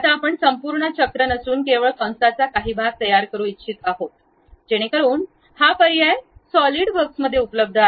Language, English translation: Marathi, Now, we would like to construct only part of the arc, not complete circle, so that option also available at Solidworks